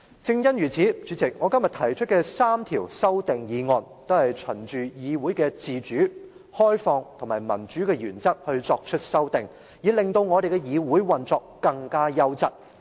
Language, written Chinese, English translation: Cantonese, 正因如此，主席，我今天提出的3項修訂均循議會自主、開放及民主的原則提出修訂，以令議會的運作更加優質。, Precisely for this reason President my three amendments today are proposed true to the principles of achieving an independent open and democratic legislature striving for quality operation of the legislature